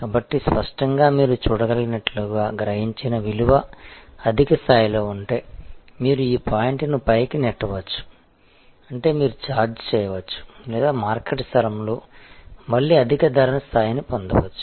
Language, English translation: Telugu, So, obviously as you can see that, if the value perceived is at a high level, then you can possibly push this point upwards, which means you can charge or you can get again a higher price level in the market place